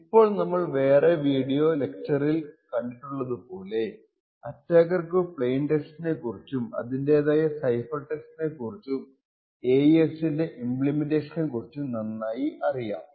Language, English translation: Malayalam, Now as we have seen in the other video lectures an attacker may actually know the plain text with a corresponding cipher text and he may also know the implementation which is used in AES